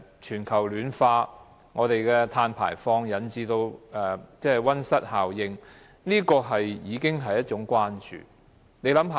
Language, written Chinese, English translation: Cantonese, 全球暖化，碳排放引致溫室效應，已經是當時關注的事情。, Global warming and greenhouse gas emission arising from carbon emission were already issues of concern back then